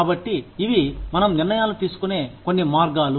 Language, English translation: Telugu, So, these are some of the ways in which, we make decisions